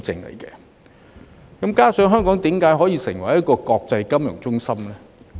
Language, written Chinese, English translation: Cantonese, 同時，為何香港可以成為國際金融中心呢？, At the same time why has Hong Kong become an international financial centre?